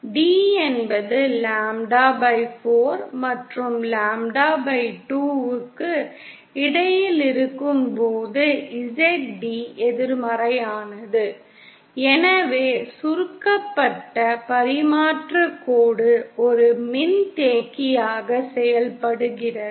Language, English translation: Tamil, When d is between lambda/4 and lambda/2, Zd is negative and hence the shorted transmission line acts as capacitor